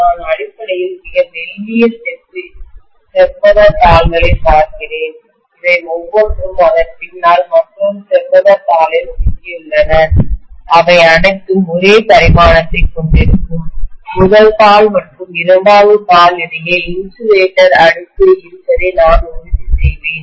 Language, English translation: Tamil, I am essentially looking at very very thin rectangular sheets, each of them stuck to another rectangular sheet behind that, all of them will have the same dimension, only thing what I will ensure is between the first sheet and the second sheet, I put an insulator layer